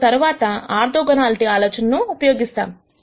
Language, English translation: Telugu, We then use the orthogonality idea